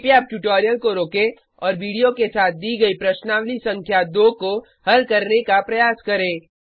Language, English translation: Hindi, Please pause the tutorial now and attempt the exercise number one given with the video